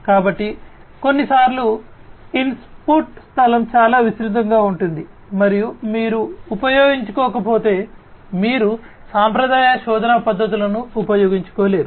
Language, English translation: Telugu, So, sometimes the input space is so, broad and if you do not use you know you cannot use the traditional search methods, right